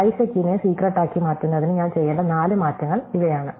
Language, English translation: Malayalam, And these are exactly the four changes that I need to make in order to transform bisect into secret